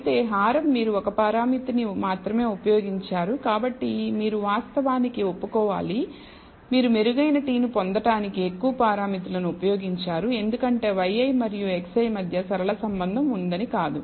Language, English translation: Telugu, Whereas, the denominator you used only 1 parameter so, you have to account for the fact that, you have used more parameters to ob tain a better t and not because there is a linear relationship between y i and x i